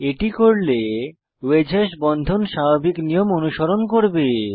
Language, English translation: Bengali, If set, the wedge hashes bonds will follow the usual convention